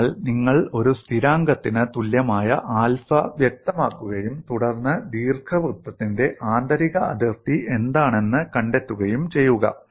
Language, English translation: Malayalam, So you specify alpha equal to a constant, and then a find out what is the inner boundary of the ellipse, and you have alpha and beta